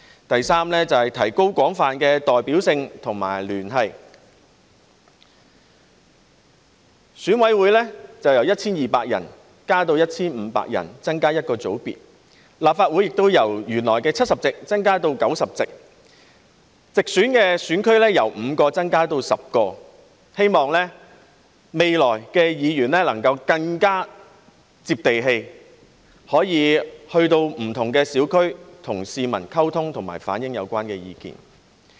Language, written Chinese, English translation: Cantonese, 第三，是提高廣泛的代表性和聯繫，選委會由 1,200 人增加至 1,500 人，增加一個界別，而立法會亦由原來的70席增加至90席，直選選區由5個增加至10個，希望未來議員能夠更接地氣，可以前往不同小區，與市民溝通和反映有關意見。, The number of EC members will be increased from 1 200 to 1 500 with one additional sector . The number of seats in the Legislative Council will be increased from the original 70 to 90 with the number of geographic constituencies for direct elections increased from 5 to 10 . It is hoped that in the future Members can get more in touch with the masses and go to different districts to communicate with the public and relay their views